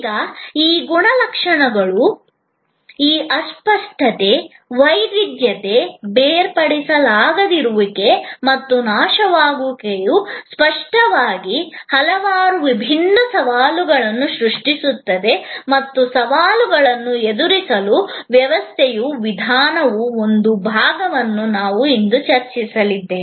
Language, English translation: Kannada, Now, these characteristics, this intangibility, heterogeneity, inseparability and perishability, obviously creates many different challenges and we are going to discuss today one part of a system's approach to address these challenges